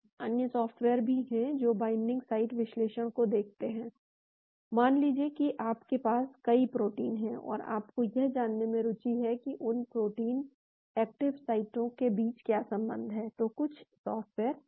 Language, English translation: Hindi, There are other softwares which are also; which looks at the binding site analysis, there are suppose you have many proteins and you are interested to know what is the relationship between those protein active sites, there are some softwares